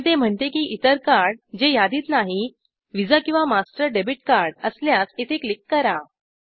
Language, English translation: Marathi, But it says that for any other card not listed here if it happens to be visa or master debit card Click here